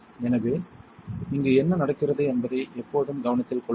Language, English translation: Tamil, So, always keep note on what is happening here